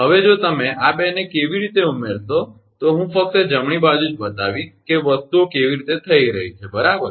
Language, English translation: Gujarati, Now, if you add these 2 how I will show only the right hand side, that how things are coming right